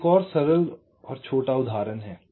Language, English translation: Hindi, now there is another simple, small example